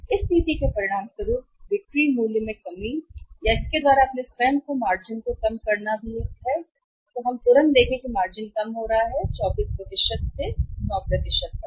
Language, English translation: Hindi, As a result of this policy while lowering down the selling price and by lowering down our own margins is also immediately we are seeing that the margin is lowering down from the 24 % to 9 %